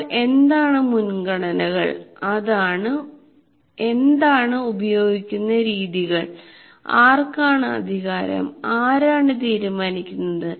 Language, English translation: Malayalam, Then what are my priorities and what are the methods that I am using and who has the power